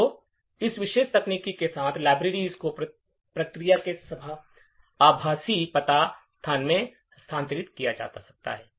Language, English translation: Hindi, So, with this particular technique, libraries can be made relocatable in the virtual address space of the process